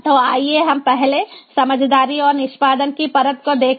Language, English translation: Hindi, so let us first look at the sense and execution layer